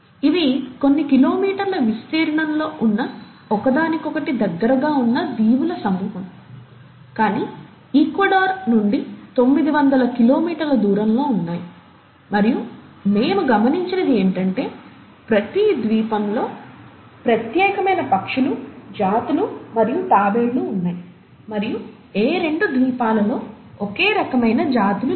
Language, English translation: Telugu, And these are a group of islands which are spread across a few kilometers, very close to each other, but about nine hundred kilometers from Ecuador, and what we observed is that in each island, there were unique birds, species and tortoises and no two islands had the same kind of species